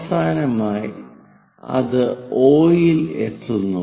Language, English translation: Malayalam, Finally, it reaches at 0